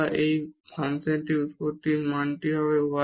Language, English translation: Bengali, And this is the value at the origin as well of this function f y